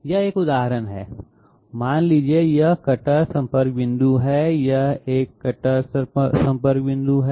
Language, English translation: Hindi, This is an example, say this is one cutter contact point, this is one cutter contact point